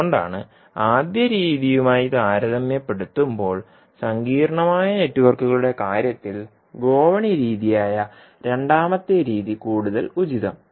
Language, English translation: Malayalam, So that is why compared to first method, second method that is the ladder method is more appropriate in case of complex networks